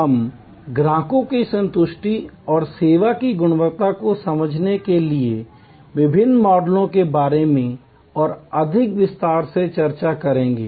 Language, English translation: Hindi, We will discussion in lot more detail about the various models that are there for understanding customer satisfaction and quality of service